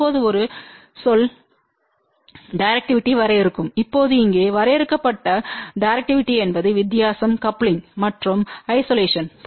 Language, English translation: Tamil, Now, will define a term directivity now directivity defined here is the difference between the coupling and the isolation ok